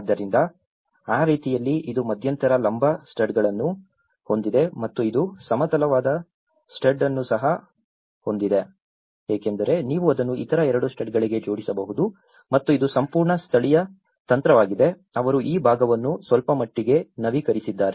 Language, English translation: Kannada, So, in that way, it has an intermediate vertical studs and which also having a horizontal stud because you can see to nail it on to other two studs and this is a whole very indigenous technique, they have slightly upgraded this part